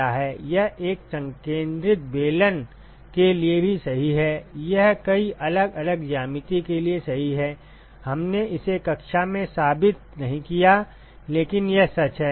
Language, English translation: Hindi, It is true even for a concentric cylinder, it is true for many different geometries, we did not prove it in the class, but it is true